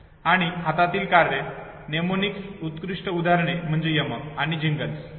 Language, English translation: Marathi, And the task at hand, the best examples of Mnemonics is, rhymes and jingles